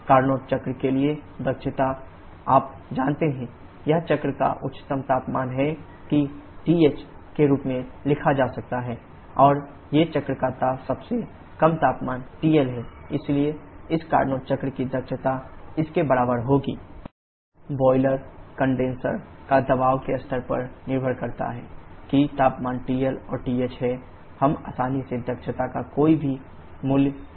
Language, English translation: Hindi, Efficiency for Carnot cycle, you know, this is the highest temperature of the cycle which can be written as TH and these are the lowest temperature of the cycle is TL so the efficiency for this Carnot cycle will be equal to 1 TL upon TH